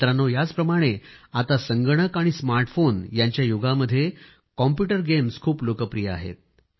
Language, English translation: Marathi, Friends, similarly in this era of computers and smartphones, there is a big trend of computer games